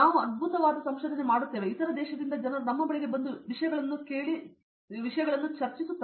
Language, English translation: Kannada, We do fantastic research and people from other country come up to us and ask things and discuss things